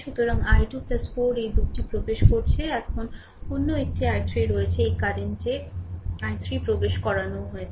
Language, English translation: Bengali, So, i 2 plus 4 this 2 are entering right now another one is there i 3 also entering this current i 3 is also entering I three